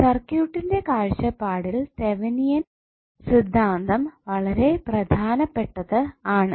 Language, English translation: Malayalam, These Thevenin’s theorem is very important for the circuit point of view